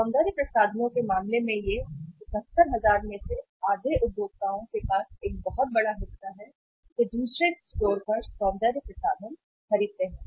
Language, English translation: Hindi, In case of the cosmetics it is a very big chunk near to the half of the consumers out of 71,000, they buy cosmetics at the other store